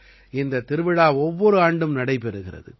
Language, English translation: Tamil, This fair takes place every year